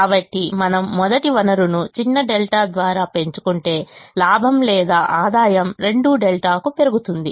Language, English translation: Telugu, therefore, if we increase the first resource by a small delta, the profit or revenue goes up by two delta